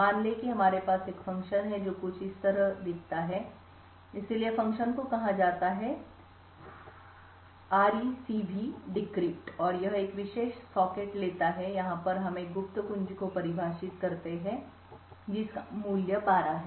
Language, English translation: Hindi, Let us say we have a function which looks something like this, so the function is called RecvDecrypt and it takes a particular socket and over here we define a secret key which has a value of 12